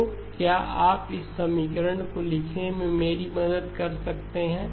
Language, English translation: Hindi, So can you help me write this equation